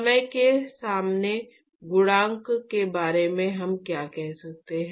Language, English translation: Hindi, What can we say about the coefficient in front of time